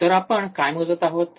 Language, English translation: Marathi, So, what are we are measuring